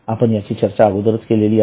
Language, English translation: Marathi, I think we have seen it earlier